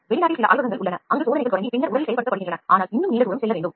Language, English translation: Tamil, There are few labs abroad where started making testing’s and then they have started implementing in the body, but still a long way to go